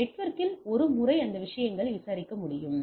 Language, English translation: Tamil, So, once in the network it can enquiry on the things